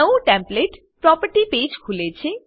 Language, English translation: Gujarati, New template property page opens